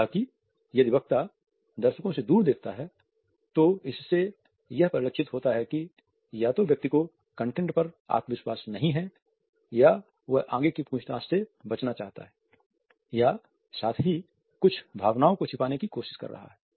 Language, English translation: Hindi, However, if the speaker looks away from the audience, it suggests that either the person does not have confidence in the content or wants to avoid further questioning or at the same time may try to hide certain feeling